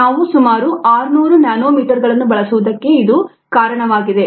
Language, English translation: Kannada, that's a reason why we used about six hundred nanometres